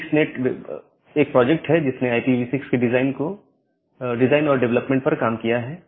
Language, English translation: Hindi, The 6NET is a project that worked on the design and development of IPv6